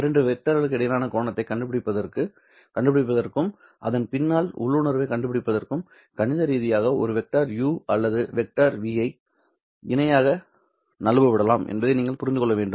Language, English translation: Tamil, In order to find the angle between the two vectors and in order to even find the intuition behind that one, you have to understand that mathematically a vector u or a vector v can be slid parallelly and in this particular direction as long as I am not changing the length of the vector